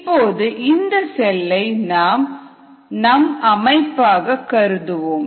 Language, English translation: Tamil, now let us consider this large cell as a system